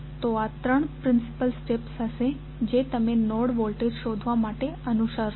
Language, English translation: Gujarati, So, these would be the three major steps which you will follow when you have to find the node voltages